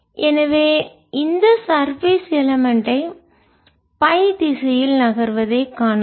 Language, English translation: Tamil, so we can see this surface element moving along with y direction